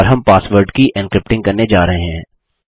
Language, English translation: Hindi, And we are going to do the encrypting of the password